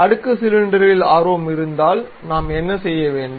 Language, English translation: Tamil, If we are interested in stepped cylinder what we have to do